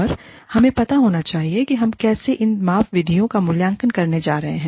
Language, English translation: Hindi, And, we must know, how we are going to evaluate, whatever these measurement methods, give us